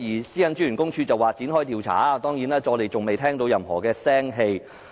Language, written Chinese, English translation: Cantonese, 私隱專員公署表示會展開調查，但至今仍未有任何消息。, The PCPD Office said it would launch an investigation but there has not been any news so far